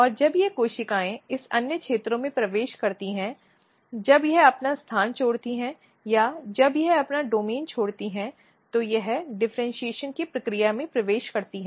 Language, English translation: Hindi, And when these cells enters in this other regions they when it leave its place or when it leaves its domain it enters in the process of differentiation